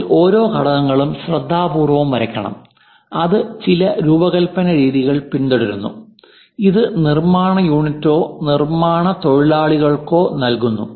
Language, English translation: Malayalam, So, each and every component, one has to draw it carefully which follows certain design practices and to be supplied to the fabrication unit or manufacturing guys